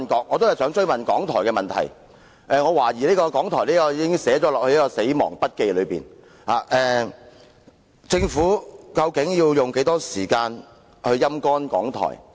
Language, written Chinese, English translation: Cantonese, 我想追問港台的問題，我懷疑港台已被寫進"死亡筆記"中，究竟政府要用多少時間來"陰乾"港台？, I want to follow up the question on RTHK and I suspect that RTHKs name has been entered in the Death Note so to speak . How much time will the Government spend in sapping RTHK dry?